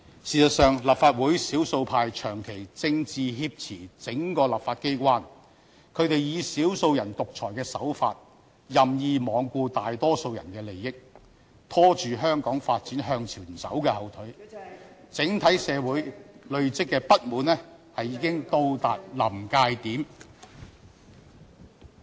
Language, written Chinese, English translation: Cantonese, 事實上，立法會少數派長期"政治挾持"整個立法機關，他們以"少數人獨裁"的手法，任意罔顧大多數人的利益，拖住香港發展向前走的後腿，整體社會累積的不滿已到達臨界點。, In fact the entire legislature has been politically hijacked by the minority Members in this Council . They irresponsibly disregard the interests of the majority using various tactics characterizing dictatorship of the minority dragging down the progress of Hong Kong . Resentment in society has reached a critical point